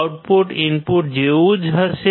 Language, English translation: Gujarati, the output would be similar to the input